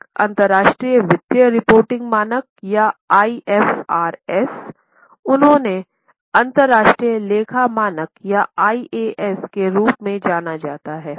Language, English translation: Hindi, One is international financial reporting standard or IFRS as they are known as or the other one are international accounting standards or IAS